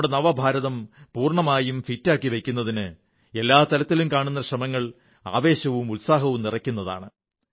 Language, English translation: Malayalam, Efforts to ensure that our New India remains fit that are evident at every level fills us with fervour & enthusiasm